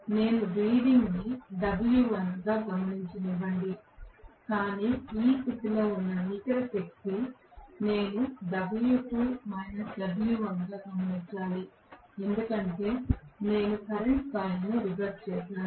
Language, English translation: Telugu, Let me just note down the reading as w1 but the net power under this condition I have to note down as w2 minus w1 because I have reversed the current coil